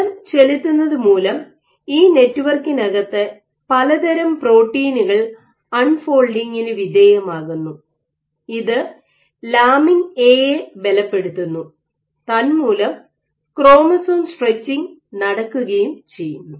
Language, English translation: Malayalam, So, force might lead to protein unfolding of various proteins within this network, might lead to reinforcement of lamina at lead to chromatin stretching